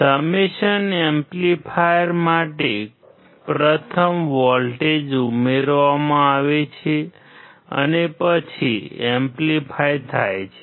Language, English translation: Gujarati, For summation amplifier, first voltages are added and then amplified